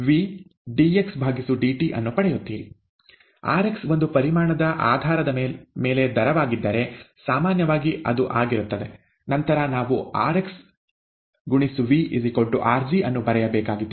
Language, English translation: Kannada, If rx is the rate on a volume basis, which it usually is, then, we need to write rxV equals rg